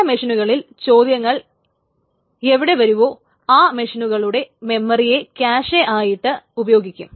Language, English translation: Malayalam, So certain machines, so wherever the queries land up in those memory of those machines can be used as a cache